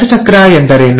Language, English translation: Kannada, So what is cell cycle